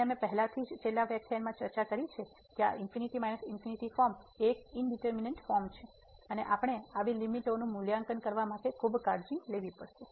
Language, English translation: Gujarati, And we have already discussed in the last lecture that this infinity minus infinity form is an indeterminate form and we have to be careful to evaluate such limits